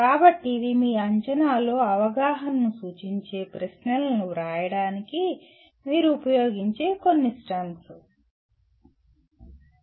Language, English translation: Telugu, So these are some of the STEMS that you can use in writing questions representing understanding in your assessment